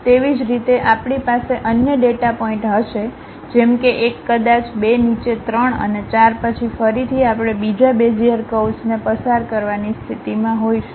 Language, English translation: Gujarati, Similarly, we will be having other data points like one perhaps, two at bottom three and four then again we will be in a position to pass another Bezier curve